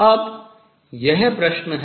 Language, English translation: Hindi, Now, this is the question